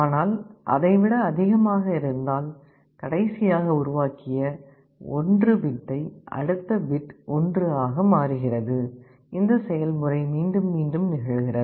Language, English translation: Tamil, But on the other side if it is greater than, I am not changing, the next bit I am changing to 1, and this process repeats